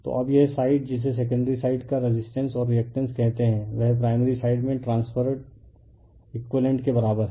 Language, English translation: Hindi, So, now this this side your what you call the secondary side a resistance and reactance the equivalent one transferred to the primary side, right